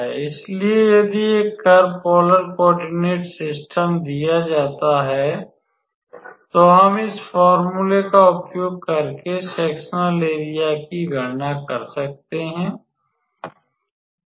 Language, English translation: Hindi, So, if a curve is given in a polar coordinate system, we can calculate the sectorial area using this formula